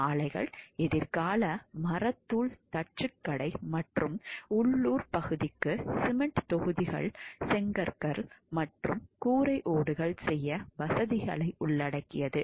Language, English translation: Tamil, Plants included a future sawmill carpentry shop and facilities to make cement blocks bricks and roof tiles for the local area